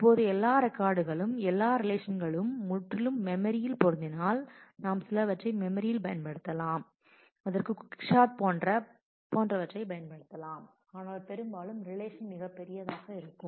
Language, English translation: Tamil, Now that if the relation can totally if all the records can totally fit into the memory then we can use some in memory algorithm like quicksort, but often that will not be the case relations are much bigger